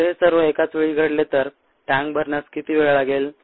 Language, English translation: Marathi, now the question is: how long would it take to fill a tank